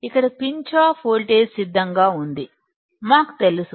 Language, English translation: Telugu, Here Pinch off voltage is constant; we know it